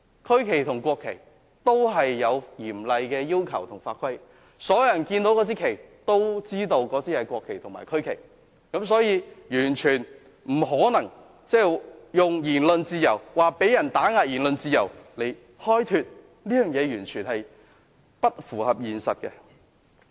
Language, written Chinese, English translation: Cantonese, 區旗和國旗都有嚴厲的要求和法規，所有人看到那面旗都知道是國旗和區旗，所以完全不可能以言論自由被打壓來開脫，這是完全不符合現實的。, There are stringent requirements and regulations regarding the national and regional flags . Everyone knows those are national and regional flags when we see them hence it is definitely impossible to exculpate oneself by saying that this is suppression of freedom of speech . This is completely unrealistic